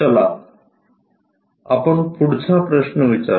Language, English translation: Marathi, Let us ask next question